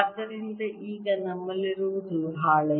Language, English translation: Kannada, so now what we have is